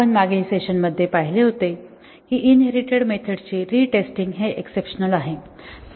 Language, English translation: Marathi, We had seen in the last session that retesting of the inherited methods is the rule rather than exception